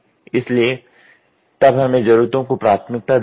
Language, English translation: Hindi, So, then we do need prioritization